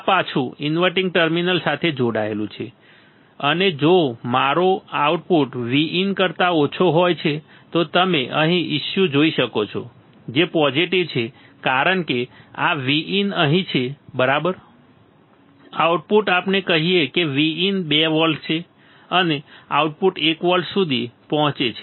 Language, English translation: Gujarati, So, imagine hooking the output to the inverting terminal like this right this is connected back to the inverting terminal and you can see here, if the output is less than V in right issues positive why because this is V in is here, right, output is let us say V in is 2 volts and output gets to 1 volt